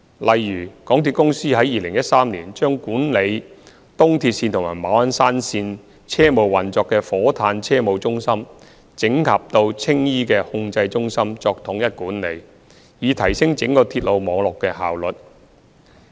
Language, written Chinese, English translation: Cantonese, 例如，港鐵公司在2013年將管理東鐵線及馬鞍山線車務運作的火炭車務中心整合到青衣的控制中心作統一管理，以提升整個鐵路網絡的效率。, For example MTRCL integrated the Train Operations Center in Fo Tan which managed train operations of ERL and Ma On Shan Line to the Operations Control Center in Tsing Yi in 2013 in order to enhance the efficiency of the overall railway network